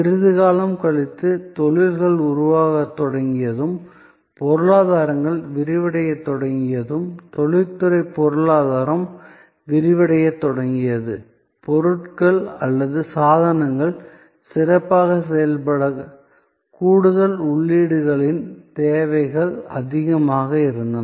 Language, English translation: Tamil, A little later as industries started evolving, as the economies started expanding, the industrial economy started expanding, there were more and more needs of additional inputs to make products or devices function better, function properly